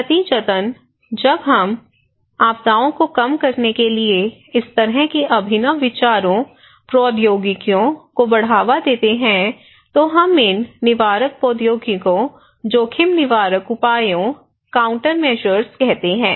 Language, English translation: Hindi, As a result, when we promote this kind of innovative ideas, technologies to reduce disasters, we call these preventive technologies, risk preventive measures, countermeasures